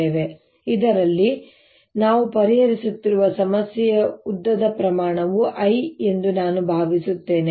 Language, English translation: Kannada, now let me assumed that the length scale in the problem that we are solving in this is l